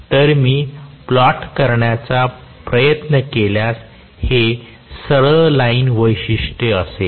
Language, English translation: Marathi, So, if I try to plot, this will be straight line characteristics